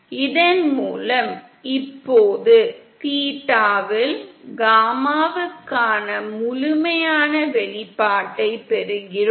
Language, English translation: Tamil, And then with this we now obtain a complete expression for gamma in theta